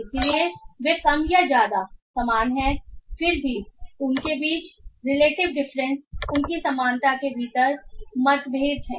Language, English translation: Hindi, Still they have a difference relative differences within their similarity